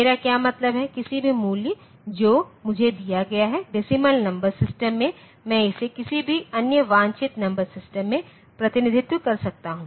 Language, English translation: Hindi, What I mean is, in any value that is given to me, in decimal number system I can represent it in some any other desirable number system